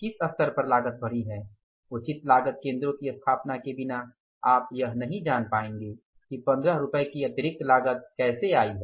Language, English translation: Hindi, Now at what level that cost has gone up without any proper cost centers or establishing the cost centers you won't be able to know that how that 15 rupees extra cost has come up